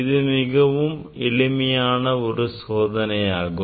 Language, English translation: Tamil, This is very simple experiment